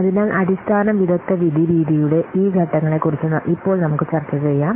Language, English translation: Malayalam, So now let's see about this steps of the basic expert judgment method